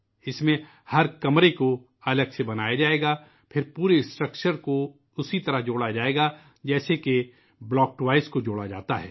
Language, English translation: Urdu, In this, every room will be constructed separately and then the entire structure will be joined together the way block toys are joined